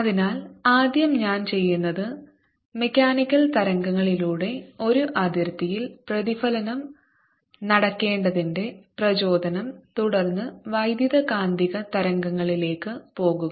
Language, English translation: Malayalam, so first what i'll do is motivate why reflection should take place at a boundary through mechanical waves and then go over to electromagnetic waves